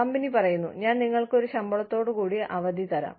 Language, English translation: Malayalam, Company says, I will give you a paid vacation